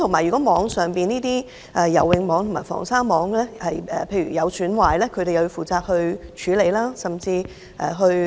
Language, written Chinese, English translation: Cantonese, 如果游泳網及防鯊網損壞，他們亦要負責處理甚至移除。, If the fencing nets and shark prevention nets are damaged lifeguards are responsible for handling such damage or even removing these nets